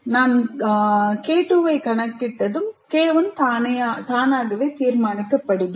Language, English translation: Tamil, And once I compute K2, K1 is automatically decided